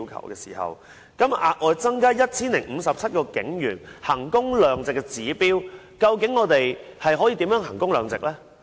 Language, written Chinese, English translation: Cantonese, 現在警務處要額外增加 1,057 名警員，究竟我們如何能夠衡工量值呢？, The Police Force now asks to create 1 057 additional posts . How can we tell that this is a value - for - money exercise?